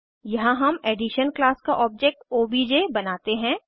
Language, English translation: Hindi, Here we create an object obj of class Addition